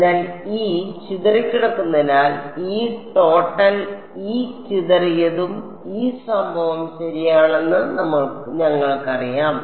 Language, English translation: Malayalam, So, E scattered so, we know that E total is E scattered plus E incident right